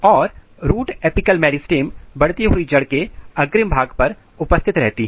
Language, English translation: Hindi, And root apical meristem is positioned at very tip of the growing root